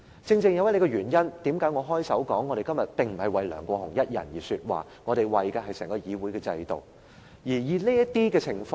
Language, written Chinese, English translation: Cantonese, 正是這個原因，我開首時說我們今天並不是為梁國雄議員一人說話，我們為的是整個議會的制度。, For this reason as I said at the outset we are not speaking for Mr LEUNG Kwok - hung alone but for the benefit of the entire system of the Legislative Council